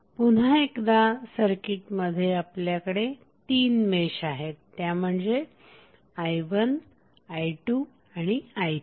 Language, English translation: Marathi, So, here we have three meshes connected so we will have three mesh currents like i 1, i 2 and i 3